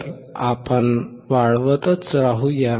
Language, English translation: Marathi, So, let us keep on increasing